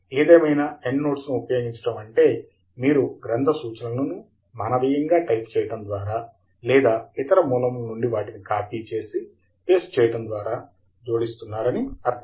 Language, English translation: Telugu, However, using Endnotes would mean that you would be adding the bibliographic references manually by typing it out or copy pasting from some other source